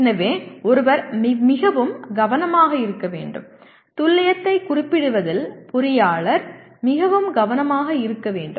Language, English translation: Tamil, So one should be very careful, the engineer should be very careful in over specifying the accuracy